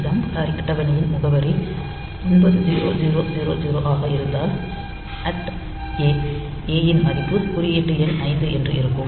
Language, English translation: Tamil, So, if this jump table address is 9000, so this at the rate a, so a value for the first one this index number is say 5